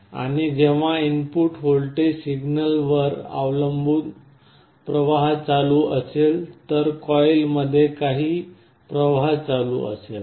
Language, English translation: Marathi, And when there is a current flowing depending on the input voltage signal there will be some current flowing in the coil